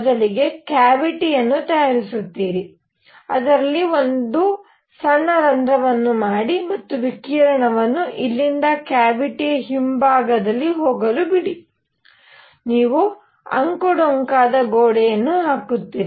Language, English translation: Kannada, So, the trick is you make a cavity, make a small hole in it and let radiation go in from here on the back side of the cavity, you put zigzag wall